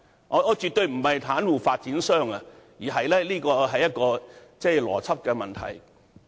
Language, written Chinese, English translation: Cantonese, 我絕對不是要袒護發展商，但這個邏輯存在問題。, I am not being partial to the developer yet the logic here is problematic